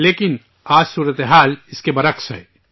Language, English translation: Urdu, But, today the situation is reverse